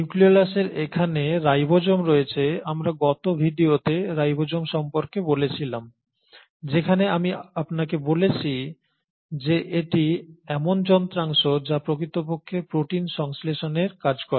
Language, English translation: Bengali, And it is here in the nucleolus that the ribosomes, we spoke about ribosomes in the last video as well where I told you that these are the machineries which actually do the work of synthesising proteins